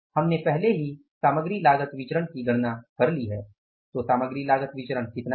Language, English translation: Hindi, If you look at the material cost variance, we have already calculated the material cost variance